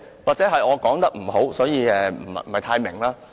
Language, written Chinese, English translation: Cantonese, 或許是我說得不好，所以你不太明白。, Perhaps the way I put it was not good enough so you did not quite understand it